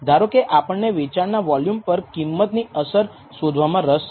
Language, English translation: Gujarati, So, suppose we are interested in finding the effect of price on the sales volume